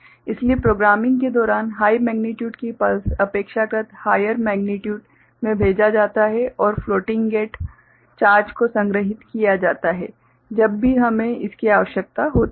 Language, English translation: Hindi, So, during programming, the pulse is sent of high magnitude relatively higher magnitude and the floating gate the charge is stored whenever we require it